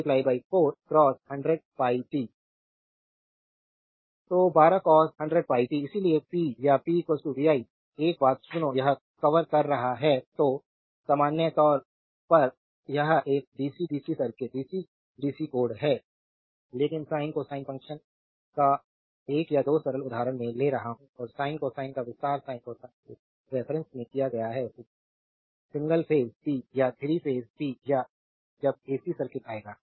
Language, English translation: Hindi, So, 12 cos 100 pi t; hence the power is p is equal to v i listen one thing this is we are covering then general it is a DC dc circuit DC codes, but one or two simple example of your sine cosine function I am taken and detail sine cosine detailed your in terms of sine cosine and single phase power or 3 phase power that will come when the AC circuit